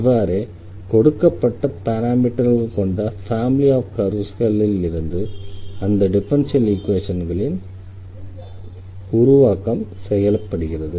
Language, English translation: Tamil, So, now, we got this differential equation here, which corresponds to this family of curves with two parameters